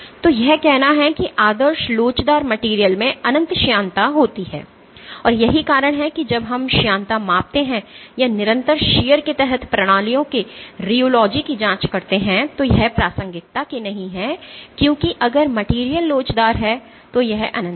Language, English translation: Hindi, So, that is to say that ideal elastic materials have infinite viscosity, and this is the reason why when we do viscosity measurements or probe the rheology of systems under constant shear it is not of relevance because if the material is elastic this is infinite